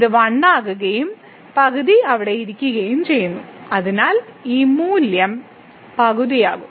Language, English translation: Malayalam, So, it will become 1 and the half is sitting there so, this value will be half